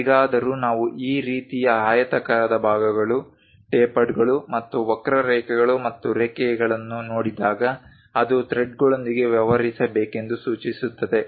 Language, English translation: Kannada, But whenever we see this kind of rectangular portions, a tapered ones and a kind of slight ah curve and lines it indicates that its supposed to deal with threads